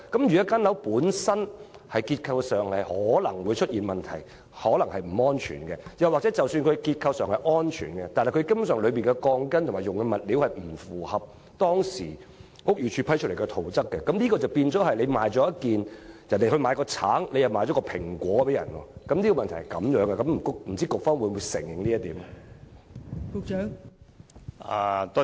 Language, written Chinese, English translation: Cantonese, 如果樓宇本身的結構可能出現問題及可能不安全，又或即使結構安全，但樓宇使用的鋼筋及物料根本不符合當時房屋署批出的圖則，即等於人家要買一個橙，你卻賣了一個蘋果給他，問題在此，不知道局方會否承認這一點？, The structure of the building itself may be problematic and it may be unsafe; or even if it is safe the steel bars and the materials used do not comply with the requirements of the drawings approved by HD . The situation is like giving an apple to a person buying an orange . That is the problem will the Policy Bureau admit it or not?